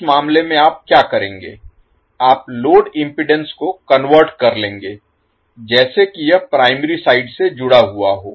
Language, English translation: Hindi, So, in that case what you will do you will take the load impedance converted as if it is connected to the primary side